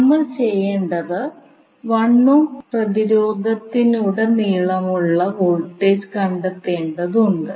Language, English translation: Malayalam, We need to find out the voltage across 1 ohm resistance